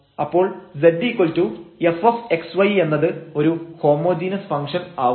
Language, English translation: Malayalam, So, given that z is equal to f x y is a homogeneous function